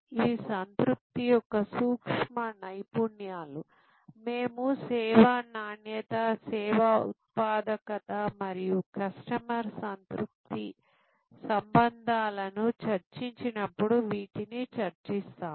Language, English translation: Telugu, These are nuances of satisfaction we will discuss that when we discuss service quality, service productivity and customer satisfaction relationships